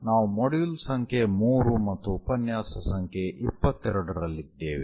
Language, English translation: Kannada, We are in module number 3, lecture number 22